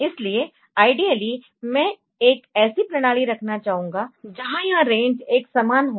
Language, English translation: Hindi, So, ideally, I would like to have a system where this range is uniform,